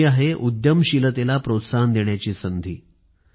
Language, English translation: Marathi, This is an opportunity for encouraging entrepreneurship